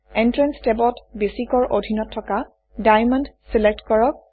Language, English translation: Assamese, In the Entrance tab, under Basic, select Diamond